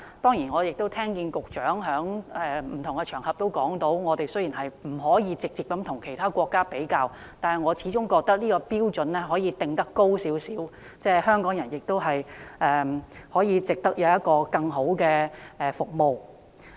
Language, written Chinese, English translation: Cantonese, 雖然我聽到局長在不同場合都指出，本港不可以直接與其他國家比較，但我始終覺得可以把標準定得高一點，香港人值得享有更好的服務。, Although I have heard the remarks of the Secretary on different occasions that Hong Kong should not be compared directly with other countries I still believe that our standards should be raised a bit as Hong Kong people deserve better services